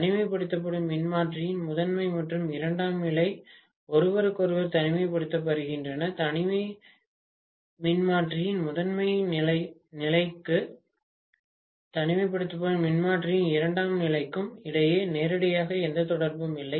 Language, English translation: Tamil, The primary and secondary of the isolation transformer are isolated from each other, there is no connection directly between the ground of the primary of the isolation transformer and the secondary of the isolation transformer